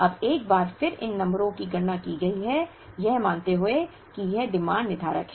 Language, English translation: Hindi, Now, once again these numbers have been computed, assuming that the demand is deterministic